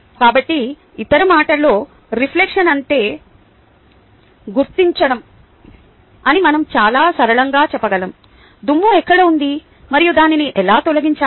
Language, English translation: Telugu, well, so in other words, we can very simply say: reflection is about identifying where is the dust and how to remove it